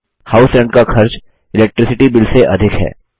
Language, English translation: Hindi, The cost of House Rent is more than that of Electricity Bill